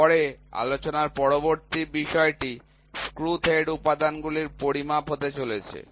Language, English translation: Bengali, Then, the next topic of discussion is going to be measurements of screw thread elements